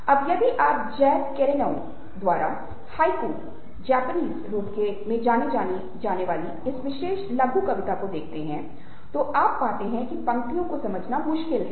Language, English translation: Hindi, now, if you are looking at this particular software known as haiku, a japanese form by jack kerouac, you find that the lines are difficult to understand